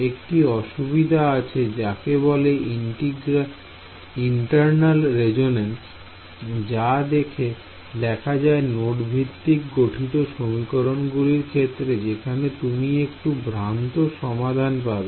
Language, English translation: Bengali, There is problem called internal resonances which happens in the case of node based formulation, where you get some spurious solutions